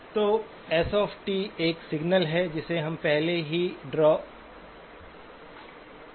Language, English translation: Hindi, So S of t is a signal which we have already drawn